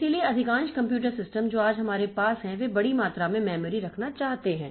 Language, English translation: Hindi, So, most of the computer systems that we have today, so they want to have large amount of memory